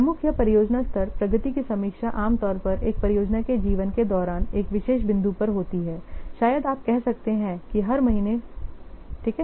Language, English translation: Hindi, Major or project level progress reviews generally takes place at particular points during the life affair project maybe you can say that every month, okay